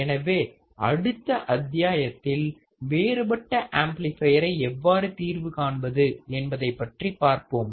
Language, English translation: Tamil, So, in the next module, we will see how we can solve the differential amplifier